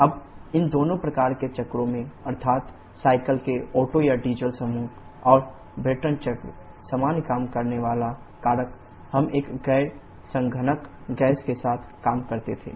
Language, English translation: Hindi, , the Otto or Diesel group of cycles and the Brayton cycle, the common working factor was we worked with one non condensable gas